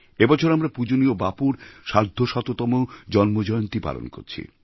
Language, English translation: Bengali, This year we are celebrating the 150th birth anniversary of revered Bapu